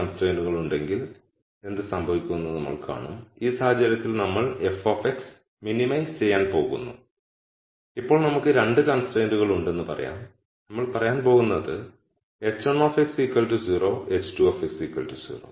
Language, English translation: Malayalam, So, we will see what happens if there are 2 constraints, so in this case we are going to minimize f of x and now let us say we have 2 constraints we are going to say h 1 x equal to 0 h 2 x equal to 0